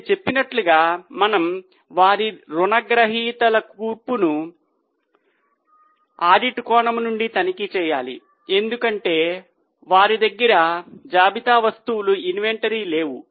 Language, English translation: Telugu, As I said, we need to check from audit angle the composition of their daters because they don't have any inventory